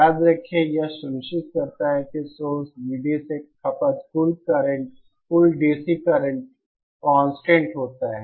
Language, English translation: Hindi, Remember that this ensures that the total DC current consumed from the source V D is constant